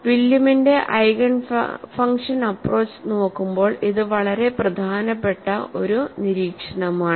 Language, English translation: Malayalam, This is a very important observation when you look at the Williams Eigen function approach